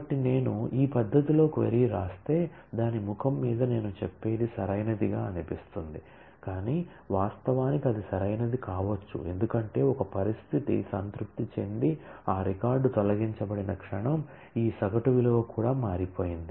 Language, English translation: Telugu, So, if I write the query in this manner then what I am saying on the face of it looks correct, but then actually can it be correct because the moment a condition is satisfied and that record is deleted this average value itself has changed